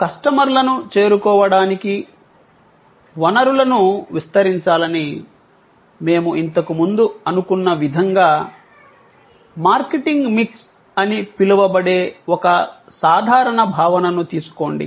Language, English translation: Telugu, Take for example a simple concept, which is called the marketing mix, the way earlier we thought of deployment of resources for reaching out to customers